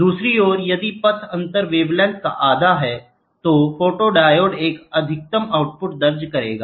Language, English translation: Hindi, On the other hand, if the path difference is an even number on half wavelength, then the photodiode will register a maximum output